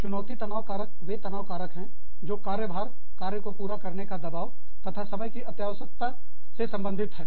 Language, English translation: Hindi, Challenge stressors are stressors, associated with workload, pressure to complete tasks, and time urgency